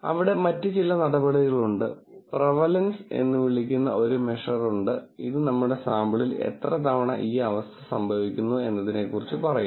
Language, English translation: Malayalam, Then there are other measures, there is measure called prevalence, which talks about how often does this condition actually occur in our sample